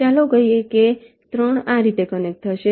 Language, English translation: Gujarati, lets say three will be connected like this: three is connected